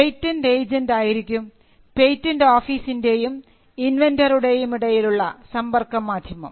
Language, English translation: Malayalam, So, the patent agent will be the point of contact between the inventor or the applicant and the patent office